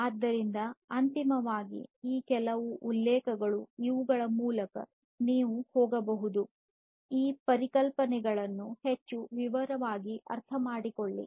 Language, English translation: Kannada, So, finally, these are some of these references that you could go through in order to understand these concepts in greater detail